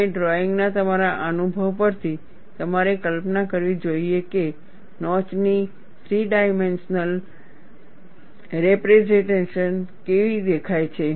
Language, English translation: Gujarati, You have to make a sketch and from your experience in drawing, you should visualize, how a three dimensional representation of the notch would look like